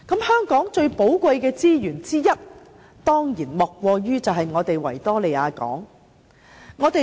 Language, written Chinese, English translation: Cantonese, 香港最寶貴的資源之一當然莫過於維多利亞港。, One of the most precious resources of Hong Kong is the Victoria Harbour